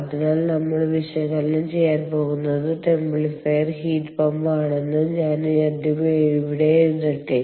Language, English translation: Malayalam, ok, so let me first write down here: what we are going to analyze is the templifier heat pump